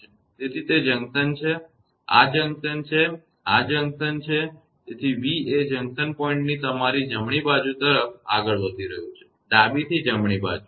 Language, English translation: Gujarati, So, it is junction; this is junction, this is junction; so v is moving from the junction point to your right hand side; left to right side